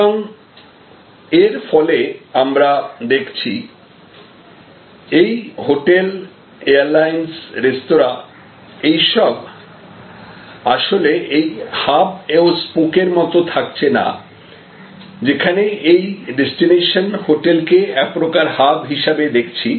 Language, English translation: Bengali, So, as a result, what we see is like this, that hotels, airlines, restaurants, so this is actually we are moving away from that hub and spoke, where we were looking at this destination hotel as the kind of a hub